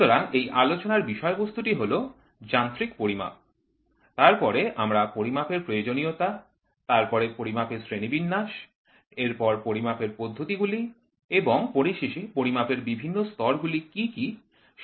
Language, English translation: Bengali, So, the content of this lecture is going to be mechanical measurement, then we will talk about need for measurement, then classifications for measurement, then methods of measurement and finally, what are the different levels of measurement